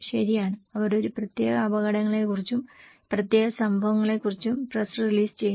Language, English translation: Malayalam, Right, they do press release about a particular hazards, particular events